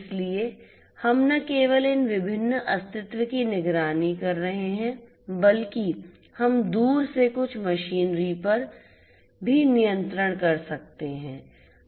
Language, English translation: Hindi, So, we are not only monitoring these different entities, but also we can have control over certain machinery, remotely